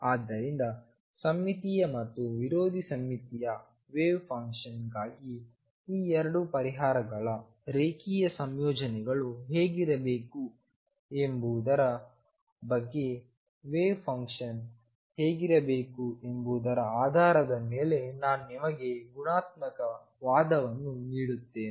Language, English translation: Kannada, So, I give you a qualitative argument based on symmetry how the wave function should look like as to what it linear combinations of these 2 solutions would be for the symmetric and anti symmetric wave function